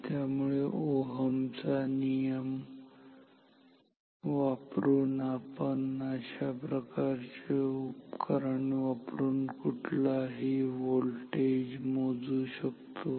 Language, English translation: Marathi, So, using Ohm’s law we can measure any voltage using this type of instrument that is, so that is very easy